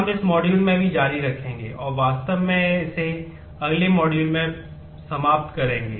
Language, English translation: Hindi, We will continue that in this module as well, and actually conclude it in the next module